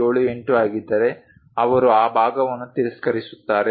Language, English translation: Kannada, 78 are perhaps 8, if they found it they will reject that part